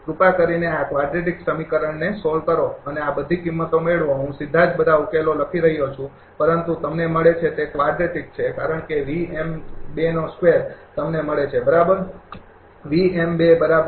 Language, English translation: Gujarati, Please solve this quadratic equation and get all these value I am writing directly all the solution, but you get it is a quadratic because of v m 2 square you get it, right